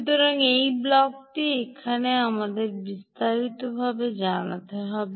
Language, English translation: Bengali, so this block we have to elaborate now